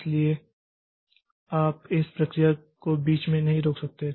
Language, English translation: Hindi, So, you cannot stop the process in between